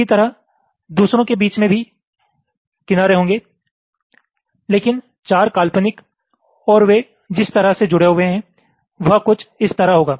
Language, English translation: Hindi, ok, similarly, there will be edges in between the other also, but the four imaginary ones and the way they are connected will be something like this